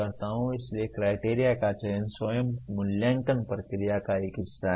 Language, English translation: Hindi, So selection of criteria itself is a part of evaluation process